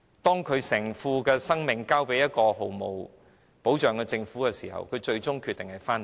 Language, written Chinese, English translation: Cantonese, 當考慮到要把性命交給一個毫無保障的政府的時候，她最終決定回到香港。, After considering that she might be entrusting her own life to a government which does not provide any protection she finally decided to return to Hong Kong